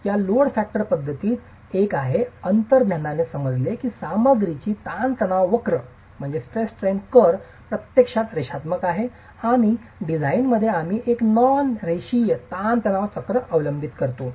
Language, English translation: Marathi, In this load factor method, there is an implicit understanding that the stress strain curve of the material in reality is nonlinear and in design we adopt a nonlinear stress strain curve